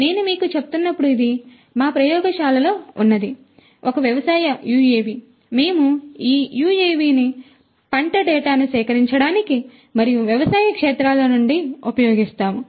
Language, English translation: Telugu, As I was telling you this is an agro UAV that we have in our lab you know we use this UAV for collecting crop data and so on from agricultural fields